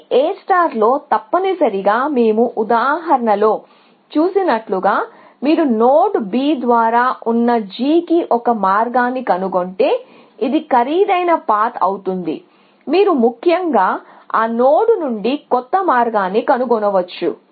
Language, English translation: Telugu, But in A star that is not the case essentially, like we saw in the example that we saw, if you have found a path to g which was through the node B which was a more expensive path you can find a new path from that node essentially